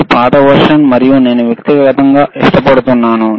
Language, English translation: Telugu, tThis is the older version and I use personally like